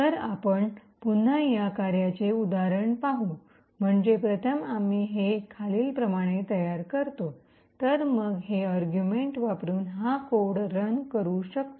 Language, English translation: Marathi, So, we will see an example of this working again, so we first make this as follows, okay and then we can run this particular code using this argument